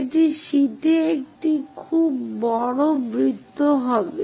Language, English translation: Bengali, It will be very large circle on the sheet